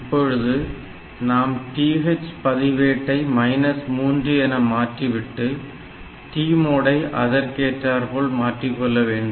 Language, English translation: Tamil, So, if you put it in the TH register minus 3 and then and this T mod register accordingly